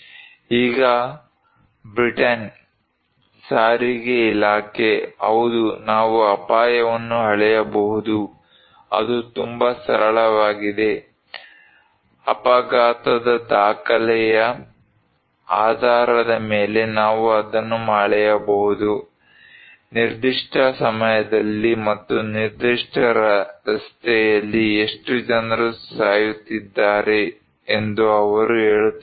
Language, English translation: Kannada, Now, Britain Department of Transport, they are saying that yes we can measure the risk, it is very simple, we can measure it based on casualty record, how many people are dying in a particular time and a particular road